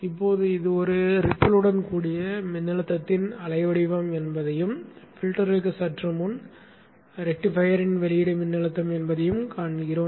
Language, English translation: Tamil, Now we see that this is the wave shape of the voltage with a ripple and this is the current that is flowing output of the rectifier just before the filter